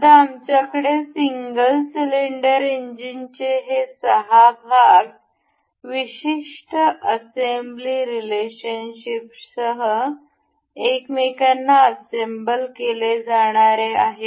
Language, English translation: Marathi, Now, we have these 6 parts of the single cylinder engine to be assembled into one another with particular assembly relations